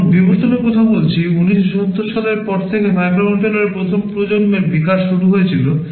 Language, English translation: Bengali, Now, talking about evolution, since the 1970’s the 1st generation of microcontroller started to evolve